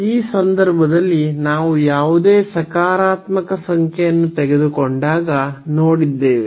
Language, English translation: Kannada, So, in this case we have just seen when we have taken any positive number